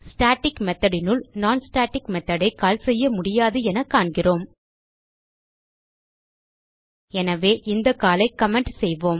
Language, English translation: Tamil, We see that we cannot call a non static method inside the static method So we will comment this call